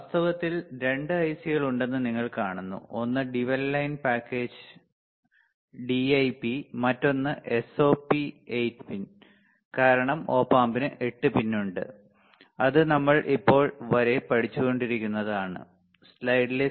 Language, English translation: Malayalam, In fact, you see that there are 2 ICs one is dual in line package DIP, another one is a SOP is 8 pin, because the op amp has the 8 pin that we are learning until now right